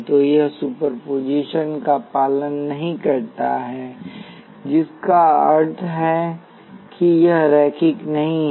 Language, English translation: Hindi, So, it does not obey superposition which means that it is not linear